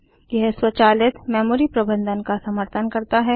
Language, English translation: Hindi, It supports automatic memory management